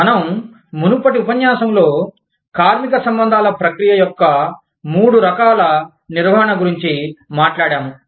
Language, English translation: Telugu, We talked about, in the previous lecture, we talked about, three types of management, of the labor relations process